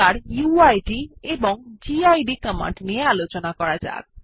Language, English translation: Bengali, Let us now talk about the uid and gid commands